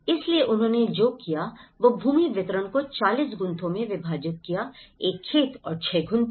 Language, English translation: Hindi, So, what they did was they divided the land distribution in 40 Gunthas as a farmland and 6 Gunthas